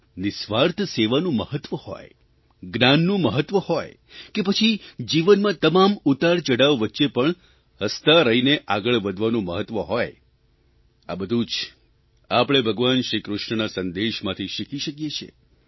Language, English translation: Gujarati, The importance of selfless service, the importance of knowledge, or be it marching ahead smilingly, amidst the trials and tribulations of life, we can learn all these from Lord Krishna's life's message